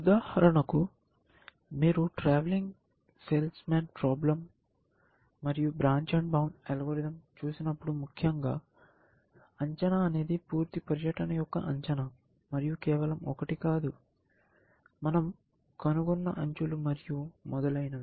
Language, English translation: Telugu, We said that, for example, when you are looking at the travelling salesmen problem, and the branch and bound algorithm, we are saying the estimate is a estimate of full tour, essentially, and not just one, that edges we have found and so on, essentially